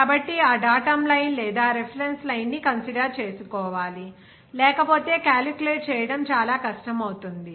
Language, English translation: Telugu, So, that datum line or reference line is to be considered, otherwise it will be very difficult to calculate